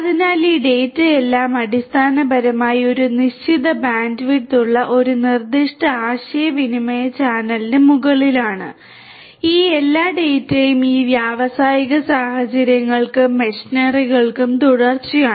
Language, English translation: Malayalam, So, the all this data are basically over a specific communication channel which has a fixed bandwidth, all these data continuously typically for most of these industrial scenarios and the machinery